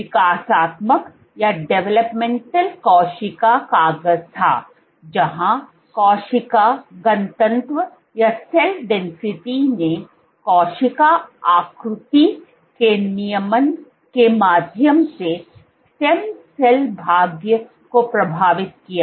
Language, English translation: Hindi, This was the developmental cell paper where cell density influenced stem cell fate via regulation of cell shape